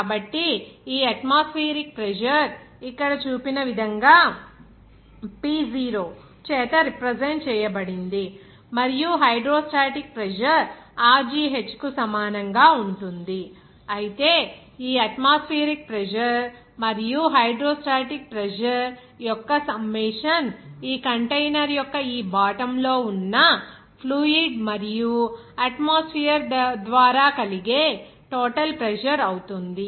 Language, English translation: Telugu, So, this atmospheric pressure is represented by P0 as shown here and hydrostatic pressure will be equal to Rho gh, though the summation of this atmospheric pressure and hydrostatic pressure will be total pressure that is exerted by the fluid and atmosphere on this bottom of this container